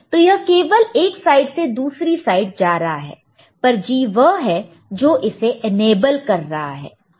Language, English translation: Hindi, So, this is just going from this side to the other side, but G is what is making it enabled ok